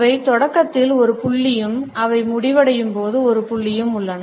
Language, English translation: Tamil, They have a point of beginning and a point at which they end